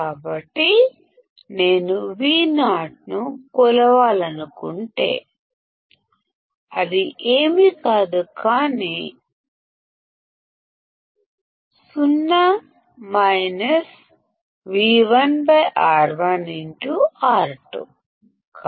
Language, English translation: Telugu, So, if I want to measure Vo; it is nothing, but 0 minus V1 by R1 into R2